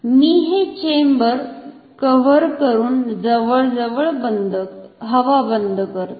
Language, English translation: Marathi, I can close this chamber with this cover almost air tightly